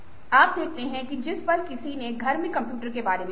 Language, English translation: Hindi, you see that the moment ah somebody innovatively thought of ah computers at home, ok